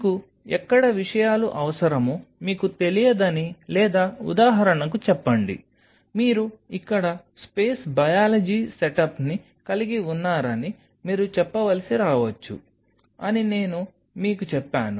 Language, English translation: Telugu, So, that is why I told you that leave space you do not know where you may be needing things or say for example, you may need to say for example, you have a space biology setup out here